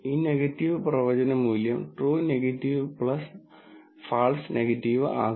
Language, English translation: Malayalam, In fact, this negative predictive value will be true negative, by true negative plus false negative